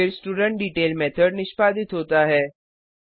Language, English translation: Hindi, Then studentDetail method is executed